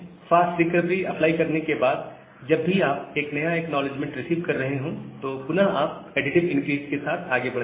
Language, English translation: Hindi, So, after applying fast recovery, whenever you are receiving a new acknowledgement, again you go with the additive increase